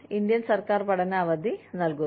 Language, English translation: Malayalam, Indian government gives a study leave